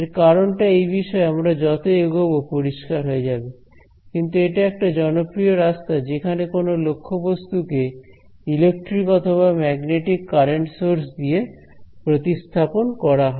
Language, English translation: Bengali, So, the reason for this will become sort of clear as we go along in this course, but this is a popular way of replacing an object by current sources magnetic and electric ok